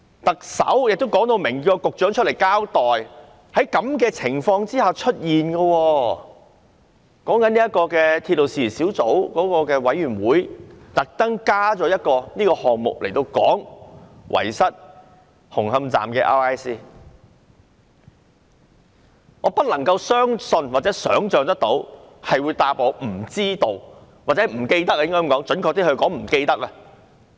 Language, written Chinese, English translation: Cantonese, 特首已要求局長出來交代事件，而鐵路事宜小組委員會也特別增加一個議程項目，商討紅磡站 RISC forms 遺失一事。我不能相信或想象署長竟然回答"不知道"——準確來說是"不記得"。, Given that the Chief Executive had requested the Secretary to give a public account and the Subcommittee on Matters Relating to Railways had placed on its agenda an extraordinary item for a discussion on the missing RISC forms concerning Hung Hom Station I can hardly believe or imagine that the Director would actually reply that he did not know―or could not recall to be precise